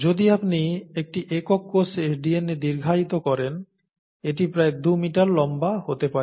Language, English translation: Bengali, The DNA in a single cell, if you stretch out the DNA, can be about 2 metres long, right